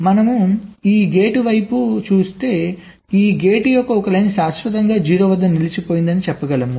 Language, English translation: Telugu, let say, if we look at this gate, we can say that one of the line of this gate is permanently stuck at zero